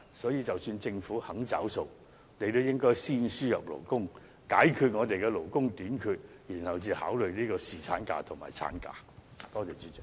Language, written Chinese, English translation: Cantonese, 所以，即使政府願意"找數"，也應先輸入勞工，解決勞工短缺的問題後才考慮增加侍產假和產假。, For this reason even if the Government is willing to foot the bill it should first import workers to resolve the labour shortage before considering increasing the paternity leave or maternity leave